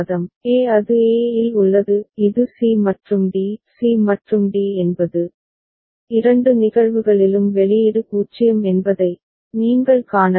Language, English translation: Tamil, e it is at e it is c and d; c and d that is what you can see output is 0 in both the cases